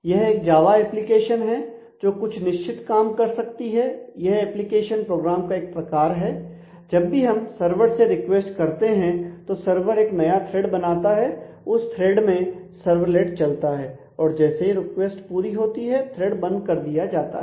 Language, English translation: Hindi, So, it is a Java application which can do certain tasks; so, it is an kind of an application program and every time we request then the server actually spawns a new thread and in that thread this servlet would be running and once the request is serviced the thread will be closed